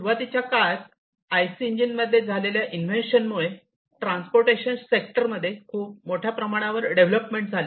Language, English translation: Marathi, So, the starting of the or the invention of IC engines basically led to lot of development in the transportation sector